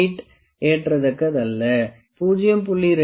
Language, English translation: Tamil, 8 is not acceptable and 0